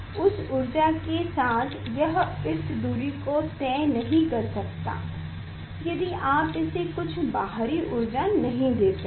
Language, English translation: Hindi, with that energy it cannot travel this length if you do not give some external energy